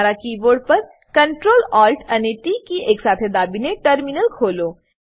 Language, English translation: Gujarati, Open the terminal by pressing ctrl + alt + t simultaneously on the keyboard